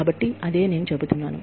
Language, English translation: Telugu, So, that is what, I am saying